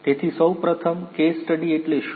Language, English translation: Gujarati, So, what is a case study first of all